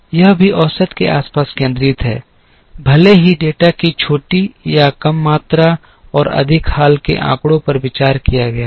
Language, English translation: Hindi, This is also centred around the average even though smaller or less amount of data and more recent data has been considered